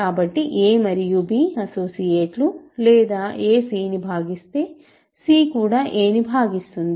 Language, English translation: Telugu, So, a and b are associates or if a divides c, c also divides a